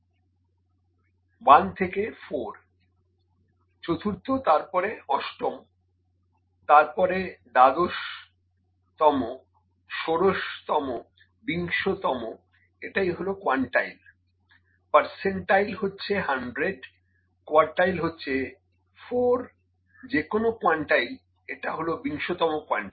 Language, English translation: Bengali, 1 to 4, fourth then eighth, then twelfth, sixteenth and twentieth; so, this is quantile, percentile is 100, quartile is 4 any, quartile this is twentieth quartile